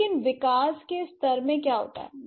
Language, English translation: Hindi, But how, what happens in the development level